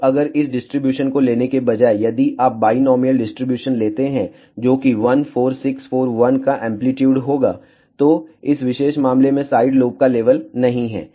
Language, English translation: Hindi, Now, if instead of taking this distribution, if you take binomial distribution, which will be amplitude 1 4 6 4 1, in this particular case there is no side lobe level